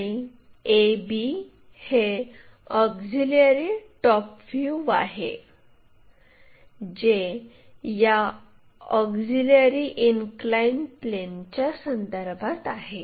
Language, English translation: Marathi, Now, a b this is our auxiliary top view which with respect to this auxiliary inclined plane we are getting